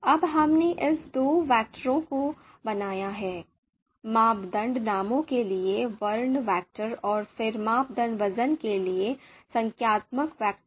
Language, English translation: Hindi, So now we have created these two vectors, character vector for criteria names and then the numeric vector for the criteria weights